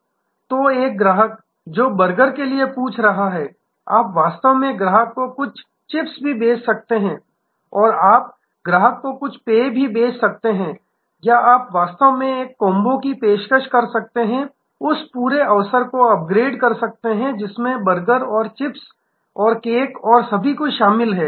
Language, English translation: Hindi, So, a customer who is asking for burger, you can actually sell the customer also some chips or you can sell the customer some drinks or you can actually upgrade that whole opportunity by offering a combo, which are consists of burger and chips and coke and everything